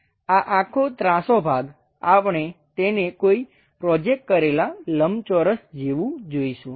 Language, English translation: Gujarati, This entire incline portion, we are about to see it something like a projected rectangle